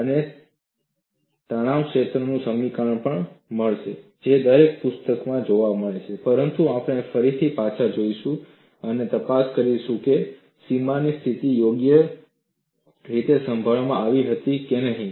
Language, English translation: Gujarati, You would also get the stress field equation which is seen in every book, but we will again go back and investigate whether the boundary conditions were properly handled